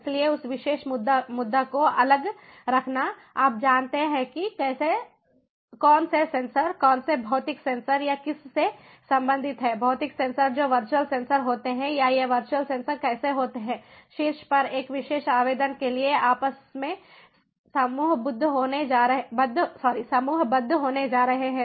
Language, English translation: Hindi, so that, keeping apart that particular issue, so you know how, which sensors, which physical sensors or corresponding to which physical sensors, which virtual sensors are going to be, or how these virtual sensors are going to be grouped along among themselves for a particular application on top